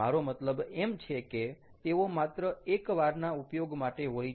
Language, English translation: Gujarati, i mean they just one time use